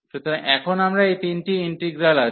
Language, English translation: Bengali, So, now we have these three integrals